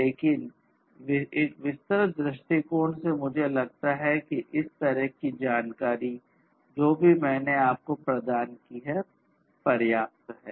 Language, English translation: Hindi, But, from an expository point of view I think this kind of information whatever I have provided to you is sufficient